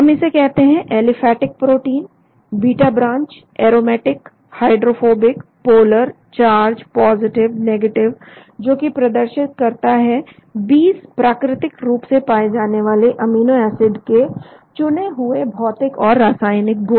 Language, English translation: Hindi, we can call it aliphatic protein, beta branched, aromatic, hydrophobic, polar, charged, positive, negative, showing the relationship of the 20 naturally occurring amino acids to a selection of physio chemical properties